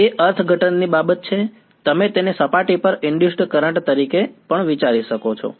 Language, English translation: Gujarati, That is a matter of interpretation you can also think of it as a current that is being induced on the surface